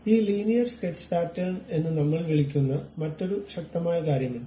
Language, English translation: Malayalam, There is one more powerful thing which we call this Linear Sketch Pattern